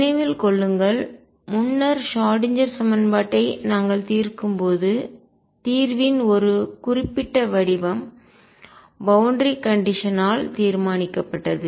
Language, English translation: Tamil, Remember earlier when we where solving the Schrödinger equation a particular form of the solution was decided by the boundary condition